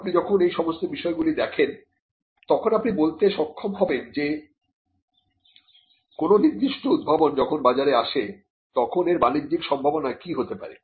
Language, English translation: Bengali, Now, when you look at all these factors you will be able to say whether a particular invention when it hits the market what could be the commercial potential for that